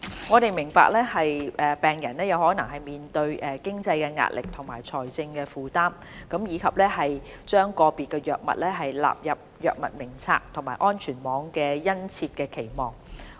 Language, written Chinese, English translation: Cantonese, 我們明白病人面對的經濟壓力和財政負擔，以及把個別藥物納入《藥物名冊》和安全網的殷切期望。, We understand the financial pressure and economic burden on patients as well as their strong aspiration for listing certain drugs on HADF and including them in the scope of subsidy under the safety net